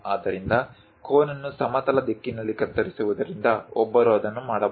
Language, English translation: Kannada, So, slicing the cone in the horizontal direction, one can make it